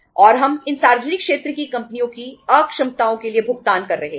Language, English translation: Hindi, And we are paying for the inefficiencies of these public sector companies